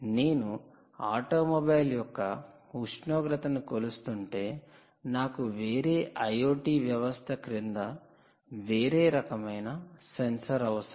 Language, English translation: Telugu, if you are measuring the temperature of within an automobile, you need a different kind of a sensor under different i o t system